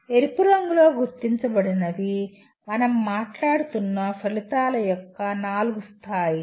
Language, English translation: Telugu, The ones marked in red are the four levels of outcomes we are talking about